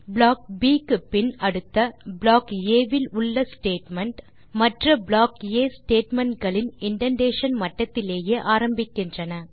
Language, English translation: Tamil, After Block B the next statement in Block A starts from the same indentation level of other Block A Statements